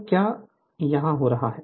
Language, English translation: Hindi, So, what what is happening here